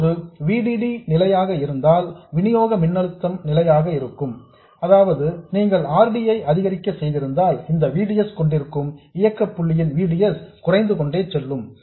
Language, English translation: Tamil, If VDD is fixed, if the supply voltage is fixed, then if you go on increasing RD, this VDS will go on reducing, the operating point VDS will go on reducing